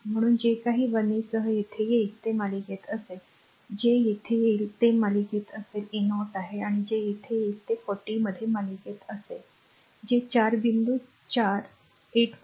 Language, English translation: Marathi, So, whatever will come here with the 13 it will be in series whatever will come here it will be in series is 30 and whatever will come here it will be in series in 40 that is whatever you have got 4 point 4 four 8